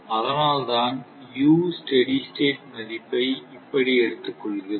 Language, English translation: Tamil, That is why, that U steady state value, we have taken like this